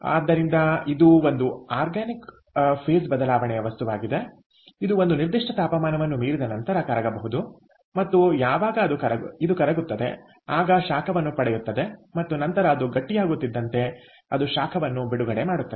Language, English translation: Kannada, so this is an inorganic phase change material which, beyond a certain temperature, can be melted and as it melts, its source heat, and then, as it solidifies, it releases heat